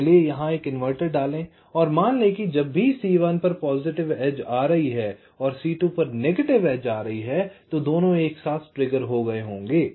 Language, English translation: Hindi, so let us insert an inverter here and lets assume that whenever there is a positive edge coming on c one and negative edge coming on c two, so both will triggered together same way